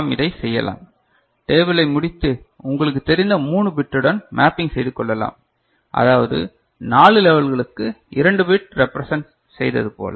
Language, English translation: Tamil, So, this we can do, but just by drawing the table and then mapping it to the 3 bit you know, relationship the way we had done for 2 bit representation for 4 level